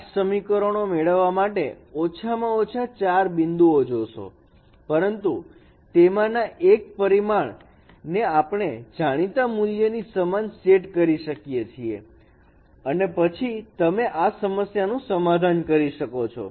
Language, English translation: Gujarati, So you require four points, at least four points to get eight equations, but one of the parameters we can set it as equal to some known value and then we can solve this problem